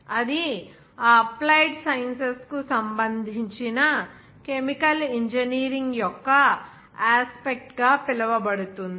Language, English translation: Telugu, That will be called as the aspect of chemical engineering and related to that applied sciences